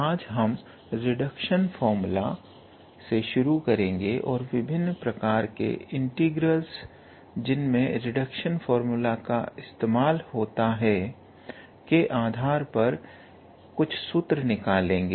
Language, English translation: Hindi, Now, today we will start with reduction formula, and we will derive some formula based on different types of integrals, so where we use the reduction formula